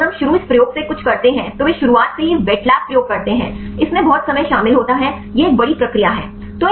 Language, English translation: Hindi, So, if we start everything from this experiment they do the wet lab experiment from the beginning then it involves lot of time right it is a big process